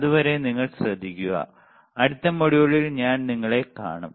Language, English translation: Malayalam, Till then you take care I will see you in the next module bye